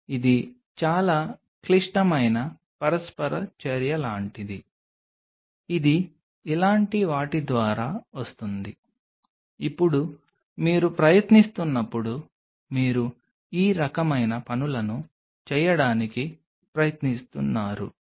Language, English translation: Telugu, Which will be something like much more complex interaction which will be coming through something like this, now whenever you are trying you are trying to do this kind of things you are giving much more